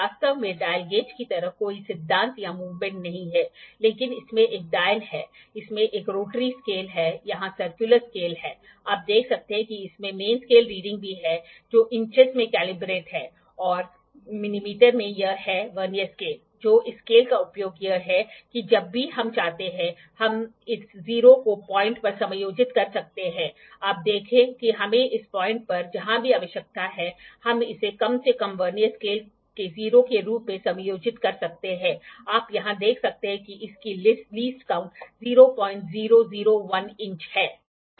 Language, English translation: Hindi, Actually there is no principle or the movement like dial gauge, but it has a dial it has a rotary scale it is the circular scale here, you can see it has also the main scale reading which are calibrated in inches, and mm it has this Vernier scale that use of this scale is that we can adjust this 0 at point whenever we like see you see wherever, wherever we need at this point also we can adjust it to be 0 at least of the Vernier scale, you can see here that its least count is 0